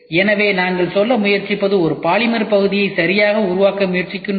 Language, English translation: Tamil, So, what we are trying to say is, we are trying to say, we are trying to develop a polymer part right